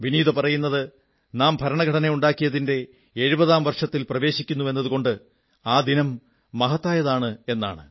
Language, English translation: Malayalam, She says that this day is special because we are going to enter into the 70th year of our Constitution adoption